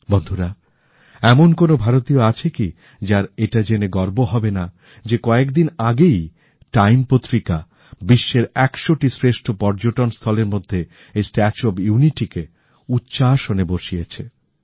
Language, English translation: Bengali, Friends, which Indian will not be imbued with pride for the fact that recently, Time magazine has included the 'Statue of Unity'in its list of 100 important tourist destinations around the world